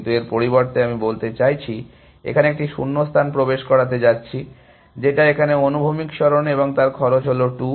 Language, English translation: Bengali, But, instead I am saying, I am going to insert a blank here, which is the horizontal move here and the cost is 2